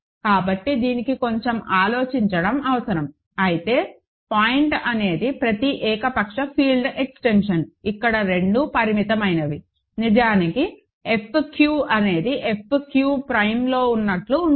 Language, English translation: Telugu, So, this requires a little bit of thinking, but the point is every arbitrary field extension where both are finite is really of the form F q contained in F q prime